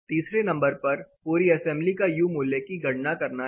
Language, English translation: Hindi, Number 3 is computation of whole assembly U value